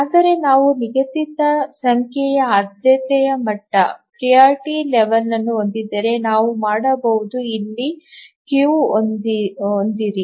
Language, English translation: Kannada, So, if we have a fixed number of priority levels, then we can have a queue here